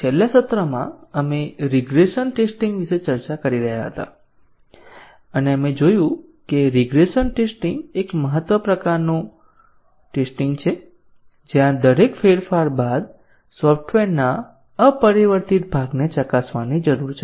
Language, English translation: Gujarati, In the last session, we were discussing about regression testing and we saw that regression testing is an important type of testing, where we need to test the unchanged part of the software after each change